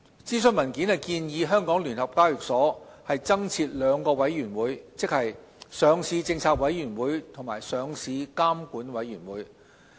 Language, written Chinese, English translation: Cantonese, 諮詢文件建議香港聯合交易所有限公司增設兩個委員會，即"上市政策委員會"及"上市監管委員會"。, The consultation paper proposes the addition of two committees to The Stock Exchange of Hong Kong Limited SEHK that is the Listing Policy Committee LPC and the Listing Regulatory Committee LRC